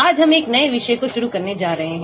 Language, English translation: Hindi, Today we are going to start a new topic